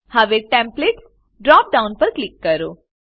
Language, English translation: Gujarati, Now, click on Templates drop down